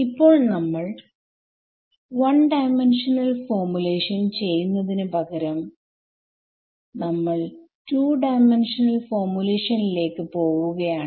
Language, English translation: Malayalam, So, now, let us instead of doing a 1D formulation, we will jump to a 2D formulation